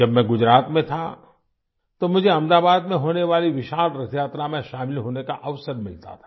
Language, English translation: Hindi, When I was in Gujarat, I used to get the opportunity to attend the great Rath Yatra in Ahmedabad